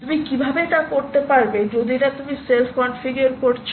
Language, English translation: Bengali, how we will you do that unless you are self configuring